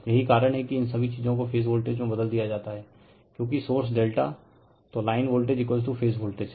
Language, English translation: Hindi, That is why all these thing is replaced by phase voltage because your source is delta right, so line voltage is equal to phase voltage